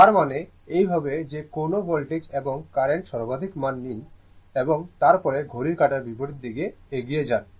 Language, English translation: Bengali, That is this that means, this way you take the maximum value of any voltage and current, and then you are moving in the clock anticlockwise direction